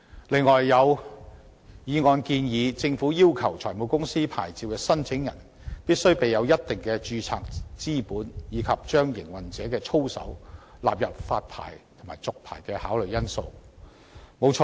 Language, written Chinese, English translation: Cantonese, 此外，有議案建議政府要求財務公司牌照申請人，必須備有一定的註冊資本，以及將營運者的操守納入發牌及續牌的考慮因素之內。, Besides the motion also proposes that the Government should require the applicant of licence for setting up a finance company to hold a specified amount of registered capital and make the operators conduct a factor for consideration in licence issuance and renewal